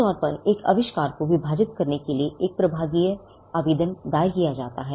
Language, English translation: Hindi, A divisional application is normally filed to divide an invention